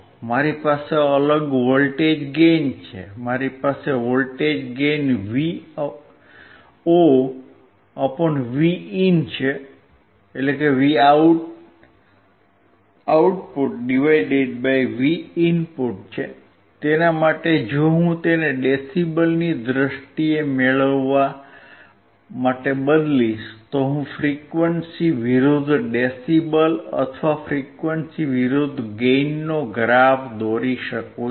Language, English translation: Gujarati, I have different voltage gain, I have voltage gain Vo / Vin, for that if I change it to gain in terms of decibels, I can plot frequency versus decibel or frequency versus gain